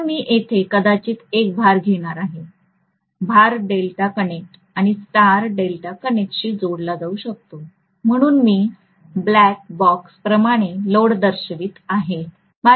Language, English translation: Marathi, Now I am going to have probably a load here, the load can be delta connected or star connected, so I am showing the load just like a black box